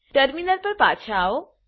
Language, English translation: Gujarati, Come back to a terminal